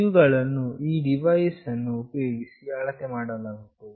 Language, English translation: Kannada, These are measured using this device